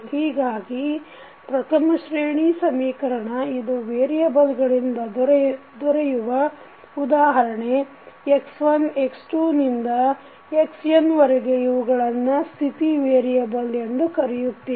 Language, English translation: Kannada, So, the set of the first order equation which we get in that the variables which you have define like x1, x2 to xn we call them as state variable